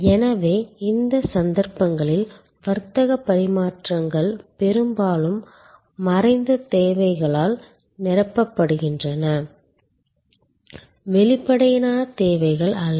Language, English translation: Tamil, So, in these cases the trade offs are often laden with latent needs, not articulated needs